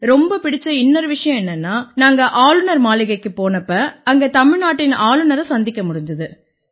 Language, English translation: Tamil, Plus the second best thing was when we went to Raj Bhavan and met the Governor of Tamil Nadu